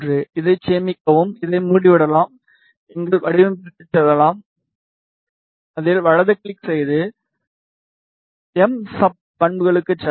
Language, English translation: Tamil, Save it, we can close this go back to our design, right click on it, go to properties MSUB